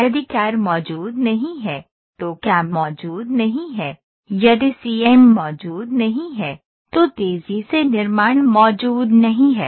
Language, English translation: Hindi, This is very important, if CAD does not exist, CAM does not exist; if CAM does not exist, rapid manufacturing does not exist